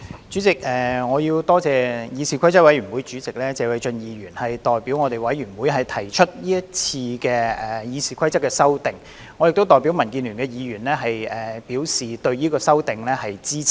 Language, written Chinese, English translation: Cantonese, 主席，我多謝議事規則委員會主席謝偉俊議員代表議事規則委員會提出是次的《議事規則》修訂，我亦代表民主建港協進聯盟的議員表示對這項修訂的支持。, I would like to thank Mr Paul TSE Chairman of the Committee on Rules of Procedure CRoP for proposing this batch of amendments to the Rules of Procedure RoP on behalf of CRoP